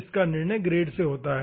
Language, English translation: Hindi, decide by the grade